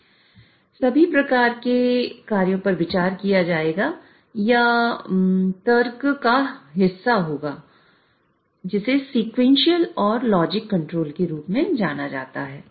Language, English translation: Hindi, So all these sort of actions would be considered or would be part of this logic which is known as sequential and logic control